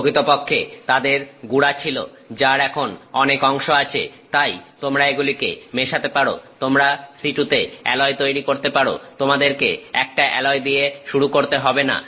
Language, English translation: Bengali, They actually have powder which is now having more than one component so, you can mix components, you can create the alloy in situ; you do not have to start with an alloy